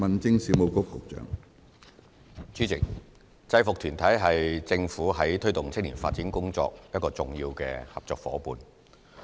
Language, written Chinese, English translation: Cantonese, 主席，制服團體是政府在推動青年發展工作的一個重要合作夥夥伴。, President uniformed groups UGs are major partners of the Government in promoting youth development